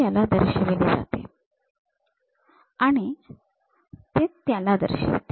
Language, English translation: Marathi, This one represents this and this one represents that